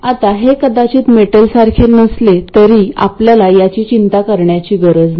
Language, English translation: Marathi, Now it may not be metal anymore but we won't worry about it